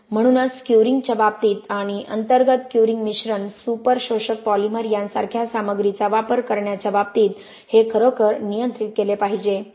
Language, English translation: Marathi, So that is why this has to be really really well controlled in terms of curing and in terms of using materials like internal curing admixtures, super absorbent polymers something like that